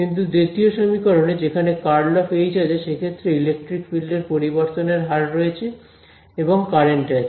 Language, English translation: Bengali, Whereas, in the second equation, there is a curl of H, there is a rate of change proportional to electric field and the current